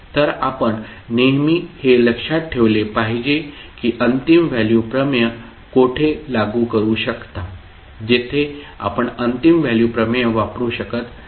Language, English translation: Marathi, So you have to always keep in mind where you can apply the final value theorem where you cannot use the final value theorem